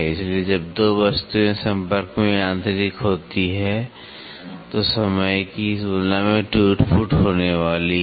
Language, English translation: Hindi, So, when there are 2 objects are mechanical in contact than over a period of time there is going to be wear and tear